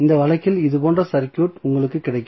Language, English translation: Tamil, So, you will get circuit like this in this case